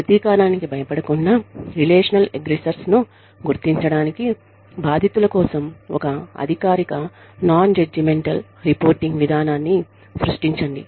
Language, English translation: Telugu, Create a formal nonjudgmental reporting procedure for victims, to identify relational aggressors, without fear of retaliation